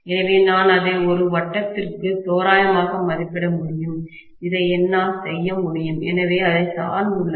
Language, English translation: Tamil, So, I can approximate it to a circle, I can do this also, so it depends, right